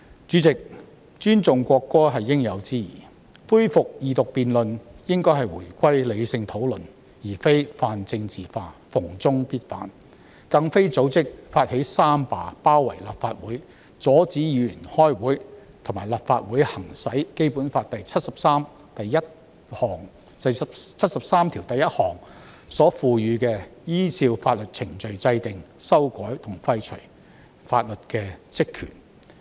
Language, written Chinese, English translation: Cantonese, 主席，尊重國歌是應有之義，恢復二讀辯論應該回歸理性討論，而非泛政治化，逢中必反，更不應組織或發起三罷，包圍立法會，阻止議員開會，以及阻止立法會行使《基本法》第七十三條第一項賦予的依照法定程序制定、修改和廢除法律的職權。, President respecting the national anthem is a justified act . During the resumption of Second Reading debate we should return to rational discussions instead of politicizing all issues and opposing everything about China . People should not organize or initiate a general strike on three fronts besiege the Legislative Council Complex obstruct Members from attending meetings and impede the exercise of the powers and functions of the Legislative Council under Article 731 of the Basic Law of the Hong Kong Special Administrative Region ie